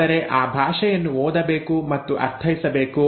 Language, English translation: Kannada, But that language has to be read and interpreted